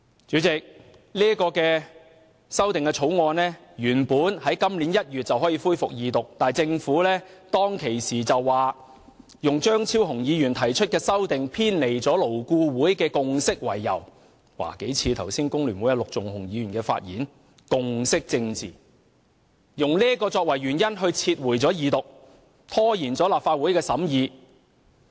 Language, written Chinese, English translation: Cantonese, 主席，《條例草案》原本在今年1月便可恢復二讀，但政府當時卻以張超雄議員提出的修正案偏離勞工顧問委員會的共識為由——這與工聯會陸頌雄議員剛才發言時提及的共識政治很相似——撤回《條例草案》，使其無法二讀，拖延了立法會的審議。, President originally the Second Reading debate on the Bill could have resumed in January this year but at the time the Government withdrew the Bill on the grounds that the amendments proposed by Dr Fernando CHEUNG were deviations from the consensus of the Labour Advisory Board LAB―this is very similar to the consensus politics mentioned by Mr LUK Chung - hung of FTU in his speech just now―thus preventing the Bill from being read the Second time and delaying this Councils consideration of the Bill